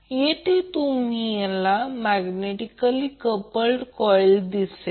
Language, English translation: Marathi, So we can say that they are simply magnetically coupled